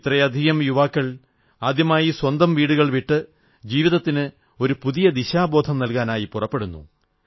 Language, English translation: Malayalam, This multitude of young people leave their homes for the first time to chart a new direction for their lives